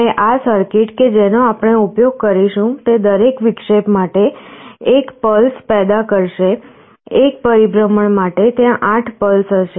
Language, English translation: Gujarati, And this circuit that we will be using will be generating one pulse for every interruption; for one revolution there will be 8 pulses